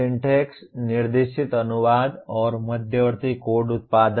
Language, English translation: Hindi, Syntax directed translation and intermediate code generation